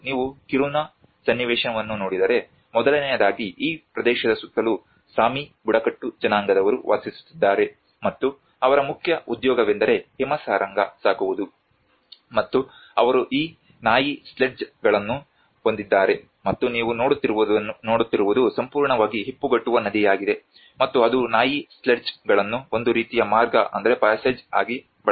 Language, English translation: Kannada, If you look at the Kiruna context, first of all, there is also Sami tribes lives around this region and whose main occupation is about reindeer herding and they have this dog sledges and what you are seeing is the river which gets frozen completely and it is used the dog sledges uses as a kind of passage